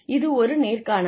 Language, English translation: Tamil, It is an interview